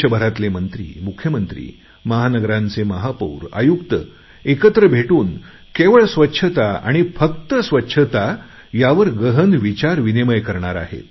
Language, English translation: Marathi, Ministers, Chief Ministers as also Mayors and Commissioners of metropolitan cities will participate in brainstorming sessions on the sole issue of cleanliness